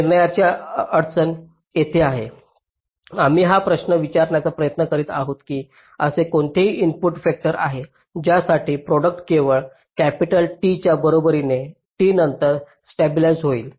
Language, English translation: Marathi, we are trying to ask this question: is there any input vector for which the output gets stable only after t equal to capital t, like here